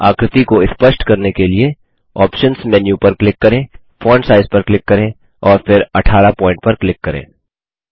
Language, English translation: Hindi, Click on the options menu click on font size and then on 18 point to make the figure clear